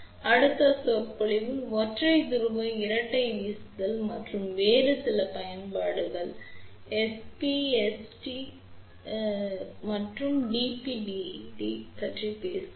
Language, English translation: Tamil, So, in the next lecture we will talk about SP 2 T which is known as single pole double throw and some of the other applications